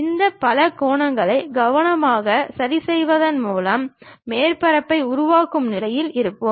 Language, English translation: Tamil, By carefully adjusting these polygons, we will be in a position to construct surface